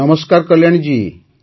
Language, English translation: Odia, Kalyani ji, Namaste